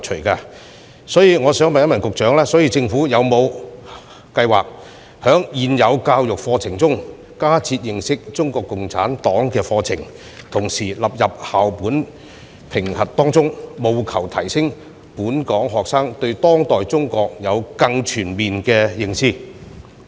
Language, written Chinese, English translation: Cantonese, 就此，我想問局長，政府有否計劃在現行教育加設認識中國共產黨的課程，並將之納入校本評核，令本港學生對當代中國有更全面的認知？, In this connection my question for the Secretary is Has the Government planned to add new contents to the existing curriculum for students to learn about CPC and put this study under the school - based assessment so that local students can have a more comprehensive understanding of contemporary China?